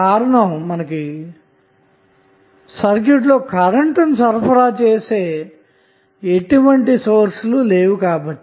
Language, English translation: Telugu, Because there is no any other source available in the circuit, which can supply current I